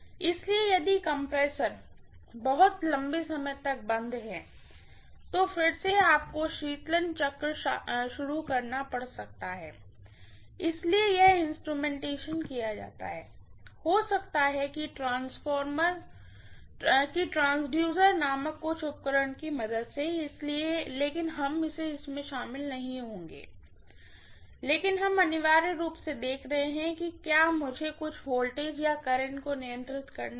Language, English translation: Hindi, So if the compressor is off for too long, then again you might have to start the cooling cycle, so this instrumentation is done, maybe with the help of some of the apparatus called transducers, but we are not going to get into that, but we are essentially looking at if I have to control some voltage or current